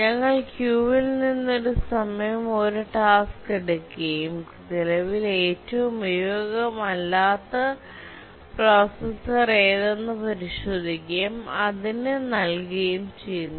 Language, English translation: Malayalam, We take out one task from the queue at a time and check which is the processor that is currently the most underutilized processor